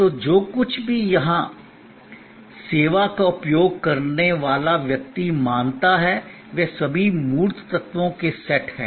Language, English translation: Hindi, So, everything that a person accessing the service here perceives, those are all set of tangible elements